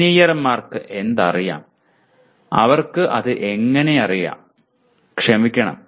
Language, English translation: Malayalam, What engineers know and how they know it actually, sorry